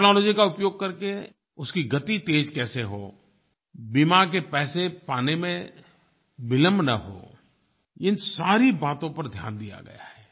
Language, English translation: Hindi, Focus has been on using the technology to fast track it and ensure there is no delay in receiving the insurance claims